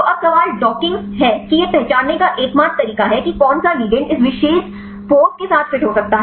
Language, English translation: Hindi, So, now the question is docking is only way to identify which ligand can fit with this particular pose